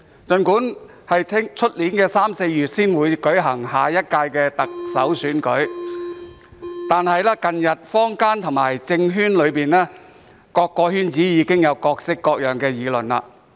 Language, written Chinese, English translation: Cantonese, 儘管下屆行政長官選舉在明年三四月才會舉行，但近日坊間、政圈以至各個圈子均已有各式各樣的議論。, Although the next Chief Executive Election will not be held until March or April next year there have been various discussions in the community as well as the political and other circles recently